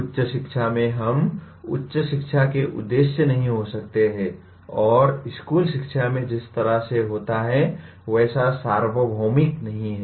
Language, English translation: Hindi, Coming to higher education, we are, the aims of higher education cannot be and are not that universal like the way it happens in school education